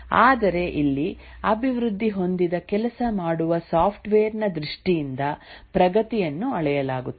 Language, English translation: Kannada, But here the progress is measured in terms of the working software that has got developed